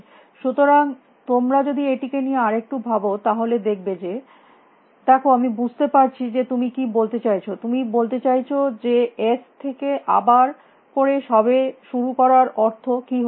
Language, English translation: Bengali, So, if you think little bit about it you will see that see, I can see, what you are trying to say, you are trying say that, what is the point of starting with s all over again